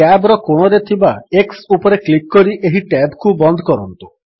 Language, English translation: Odia, Lets close this tab by clicking on the x at the corner of the tab